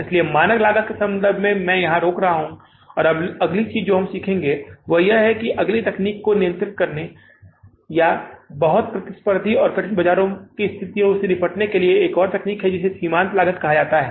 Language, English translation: Hindi, So with regard to the standard costing, I am stopping here and now the next thing which we will learn is that is the next technique, another technique of controlling the cost or dealing in a very competitive and difficult market situations that is called as marginal costing